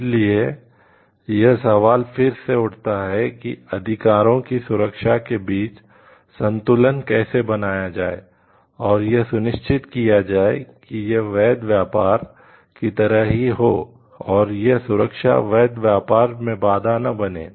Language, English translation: Hindi, So, again the question comes here is how to balance between the protection of the rights and also to ensure like the legitimate trades happens and this protection does not act as a barrier to the legitimate trade